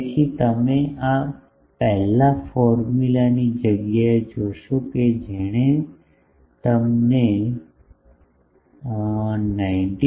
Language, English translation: Gujarati, So, already you will see instead of this our that first formula that gave us 19